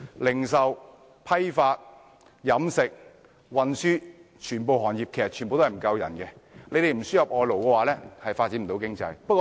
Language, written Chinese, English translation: Cantonese, 零售、批發、飲食、運輸，全部行業都人手短缺，若不輸入外勞，便無法發展經濟。, Since all industries such as retail wholesale catering and transport face manpower shortage we will be unable to pursue economic development if we fail to import foreign labour